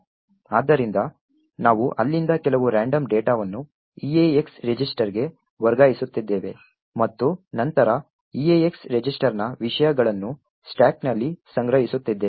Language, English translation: Kannada, So, we are taking some random data from there moving it to the EAX register and then storing the contents of the EAX register into the stack